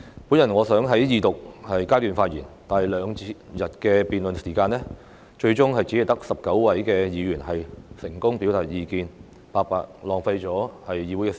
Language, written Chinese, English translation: Cantonese, 本來我想在二讀階段發言，但在兩天的辯論時間內，最終只有19位議員成功表達意見，白白浪費議會的時間。, I originally intended to speak during the Second Reading debate but only 19 Members eventually succeeded to do so in the two - day debate session . The time of the Council has been wasted for nothing